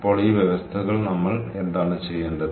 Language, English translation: Malayalam, ok, so these conditions, what do we have to do